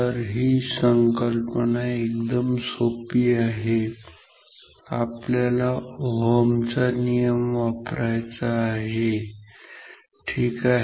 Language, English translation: Marathi, So, the idea is very simple, the idea is to use Ohms law ok